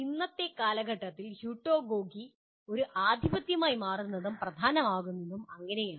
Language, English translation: Malayalam, And that is how heutagogy becomes a dominant is considered important in present era